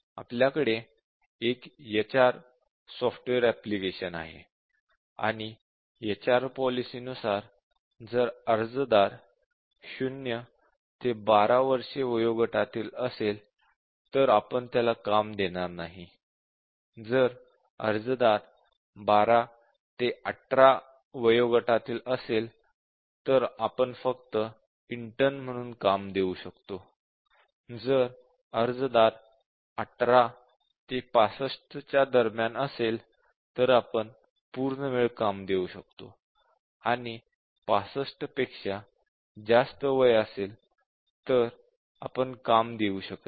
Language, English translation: Marathi, And the policy for a HR is that if the applicant is between 0 to 12 years age, we do not hire; if the applicant is between 12 to 18 years of age we can only hire as an intern; and if it between 18 to 65, we can hire full time; and above 65, we do not hire